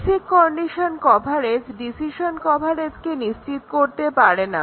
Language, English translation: Bengali, Will basic condition coverage subsume decision coverage